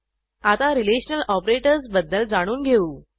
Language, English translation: Marathi, Now, let us learn about Relational Operators